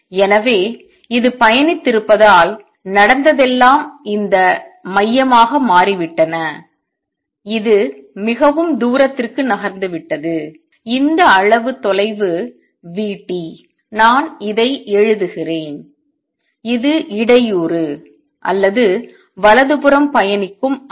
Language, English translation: Tamil, So, because it has travel that much all that happened is a center of this has shifted by this much distance v t, let me write this; this is the disturbance or the wave travelling to the right